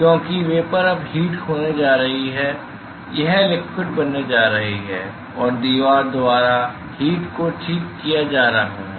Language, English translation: Hindi, Because vapor is now going to loss heat it is going to form liquid and that heat is being taken up by the wall ok